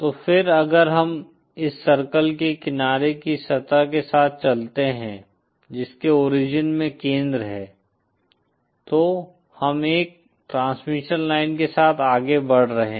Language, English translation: Hindi, So then if we move along the surface of the along the edge of this circle which has the center at origin then we are moving along a transmission line